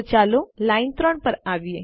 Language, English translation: Gujarati, So lets come to line 3